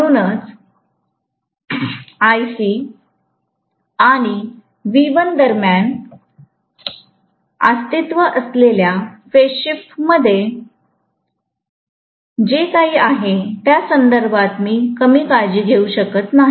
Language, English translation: Marathi, That is the reason why I couldn’t care less in terms of whatever is the phase shift that may exist between Ic and V1, it is hardly anything